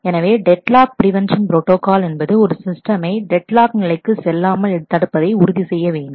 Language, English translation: Tamil, So, deadlock prevention protocol ensures that the system will never enter into the deadlock state